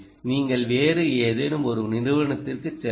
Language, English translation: Tamil, you go to some other company